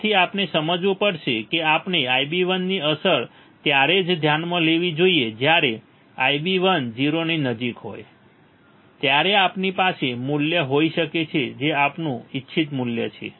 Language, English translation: Gujarati, So, we have to understand that we have to consider the effect of I b 1 only when I b 1 is close to 0 then we can have value which is our desired value all right